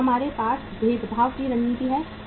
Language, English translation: Hindi, Then we have differentiation strategy